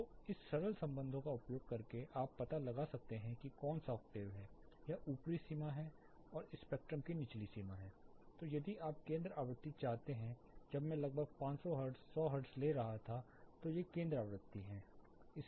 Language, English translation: Hindi, So, using this simple relations you can find out n is a which octave, it is this is upper limit and lower limit of the spectrum, then if you want the center frequency when I was taking about 500 hertz 1000 hertz these are center frequencies of bands